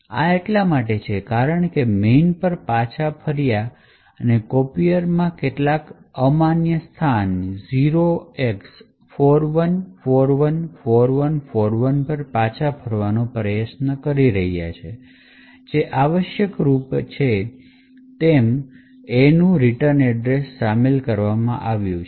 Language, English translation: Gujarati, This is because the return to main has been modified and the copier is trying to return to some invalid argument at a location 0x41414141 which is essentially the A’s that you are inserted in the return address location and which has illegal instructions